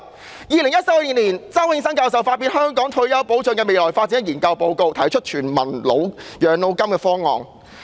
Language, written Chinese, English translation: Cantonese, 在2014年，周永新教授發表《香港退休保障的未來發展》研究報告，提出全民養老金方案。, In 2014 Prof Nelson CHOW published the Research Report on Future Development of Retirement Protection in Hong Kong and put forward the Demo - grant proposal